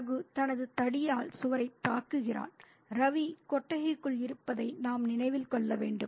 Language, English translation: Tamil, Raghu is attacking the wall with his stick and we need to remember that Ravi is inside the shed